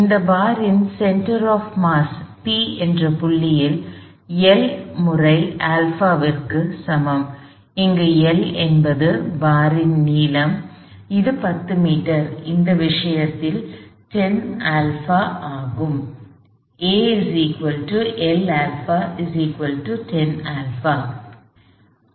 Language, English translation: Tamil, The center of mass of this bar O P lies at the P, at the point P and that equals L times alpha, where L is the length of the bar, which is 10 meters, which in this cases 10 alpha